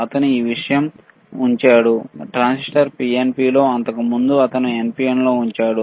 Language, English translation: Telugu, He kept this thing, the transistor in PNP, earlier he placed in NPN